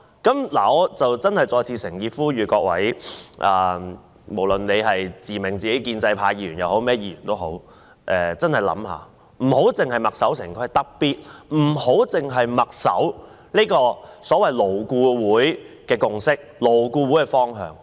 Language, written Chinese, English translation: Cantonese, 我真的再次誠意呼籲各位，無論自命建制派或其他議員也真的想一下，不要墨守成規，特別不要只是墨守所謂勞顧會的共識和方向。, I again earnestly call on Members from the pro - establishment camp or other camps to think carefully and not to be hidebound by conventions especially those arising from the so - called consensus and direction of LAB